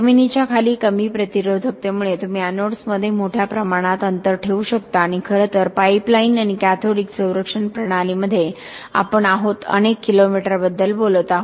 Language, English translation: Marathi, Below ground because of the low resistivity you can space anodes widely apart and in fact in pipeline and cathodic protection systems we are talking about several, even kilometers